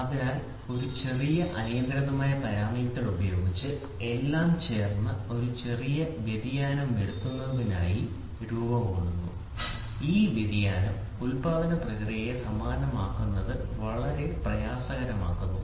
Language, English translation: Malayalam, So, this is what with a small uncontrollable parameter, all joint together to form to bring in a small variation, so that variation makes it very difficult for manufacturing process to make them identical